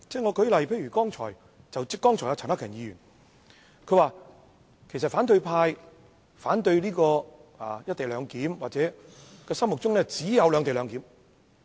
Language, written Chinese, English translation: Cantonese, 舉例而言，剛才陳克勤議員表示，反對派反對"一地兩檢"是因為他們心中只有"兩地兩檢"。, For example he says that opposition Members oppose the co - location arrangement because the only option in their minds is the separate - location model